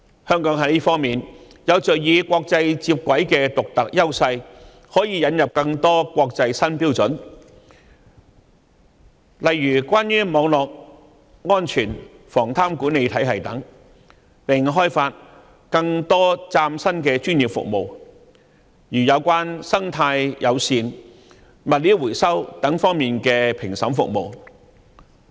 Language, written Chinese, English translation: Cantonese, 香港在這方面有着與國際接軌的獨特優勢，可以引入更多國際新標準，例如關於網絡安全和防貪管理體系等，並開發更多嶄新的專業服務，例如有關生態友善和物料回收等方面的評審服務。, With our unique advantage of articulation with the international community Hong Kong can introduce more new international standards such as those relating to cyber security and corruption prevention systems and develop more new professional services such as assessment services for eco - friendly practices recovery of materials etc